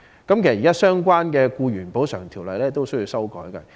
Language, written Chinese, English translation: Cantonese, 此外，現時相關的《僱員補償條例》也要修訂。, In addition it is also necessary to amend the current Employees Compensation Ordinance